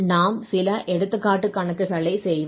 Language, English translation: Tamil, Well, now we will do some example problems